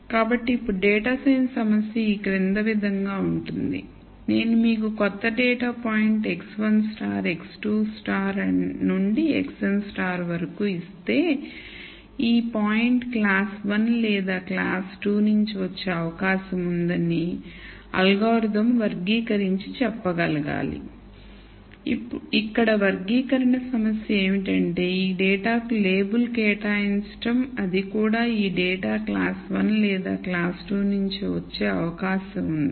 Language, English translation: Telugu, So, now the data science problem is the following if I give you a new data point let us say x 1 star x 2 star all the way up to x n star, the algorithm should be able to classify and say this point is likely to have come from either class 1 or it could have come from class 2